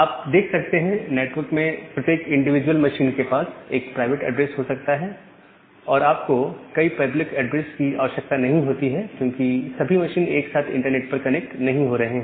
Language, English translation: Hindi, So, now, you can see that every individual machine inside that network may have one private IP address and you do not require that many of public IP address because all the machines are not getting connected to the internet simultaneously